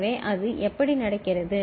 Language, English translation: Tamil, So, how it is happening